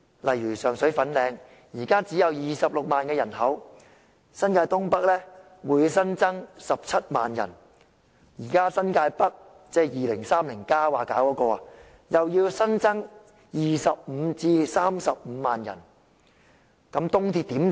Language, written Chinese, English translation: Cantonese, 例如上水和粉嶺，人口現在只有26萬，新界東北的人口會新增17萬，現在新界北——即《香港 2030+》提出要發展的地區——又會新增25萬至35萬人，試問東鐵如何撐得住呢？, For example Sheung Shui and Fanling have a population of 260 000 and there will be an addition of 170 000 to the population of NENT . Right now North New Territories―areas Hong Kong 2030 proposes to develop―will welcome 250 000 to 350 000 more people . How can the East Rail handle such loading?